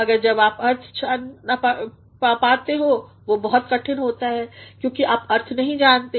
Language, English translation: Hindi, But when you come to know its meaning it is very difficult also because you do not know the meaning